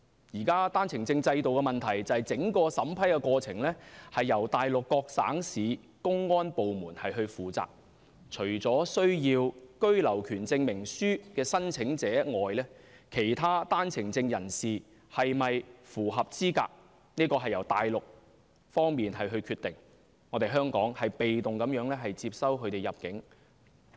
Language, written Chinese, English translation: Cantonese, 現時單程證制度的問題是整個審批過程由內地各省市公安部門負責，除了需要居留權證明書的申請者外，其他單程證人士是否符合資格，是由內地決定，香港被動接收他們入境。, The problem with the current OWP system is that the entire vetting and approval process is undertaken by public security authorities of various Mainland provinces and municipalities . Except for applicants for the Certificate of Entitlement the eligibility of all other OWP holders is solely determined by Mainland authorities . Hong Kong is in a passive position as far as accepting them as new immigrants is concerned